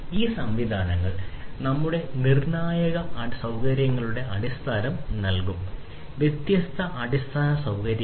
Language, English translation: Malayalam, So, these systems will provide the foundation of our critical infrastructure; so, different infrastructure